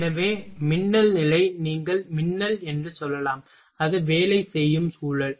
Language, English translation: Tamil, So, lightning condition you can also say lightning that is the working environment